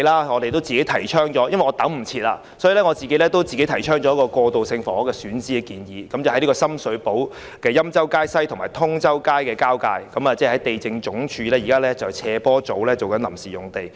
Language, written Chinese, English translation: Cantonese, 我幾天前與局長會面，已經急不及待自行提出一個過渡性房屋的選址建議，即深水埗欽州街西與通州街交界的地政總署斜坡維修組臨時用地。, When I met the Secretary a few days ago I could scarcely wait to propose a site for transitional housing . That is the temporary site at the junction of Yen Chow Street West and Tung Chau Street in Sham Shui Po currently used by the Slope Maintenance Section of the Lands Department